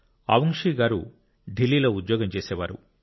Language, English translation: Telugu, Avungshee had a job in Delhi